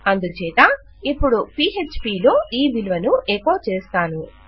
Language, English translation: Telugu, So, now what I want to do in Php is, echo out this value